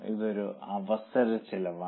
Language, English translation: Malayalam, That is the opportunity cost